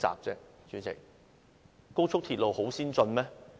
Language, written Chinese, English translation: Cantonese, 代理主席，高速鐵路很先進嗎？, Deputy Chairman is high - speed railway a very advanced technology?